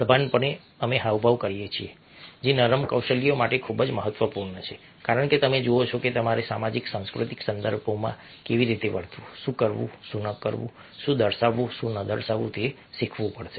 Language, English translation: Gujarati, concisely, we make gestures which are very, very important for soft skills because you see that you have to learn how to behave, what to do, what not to do, what to display, what not to display in a social, cultural contexts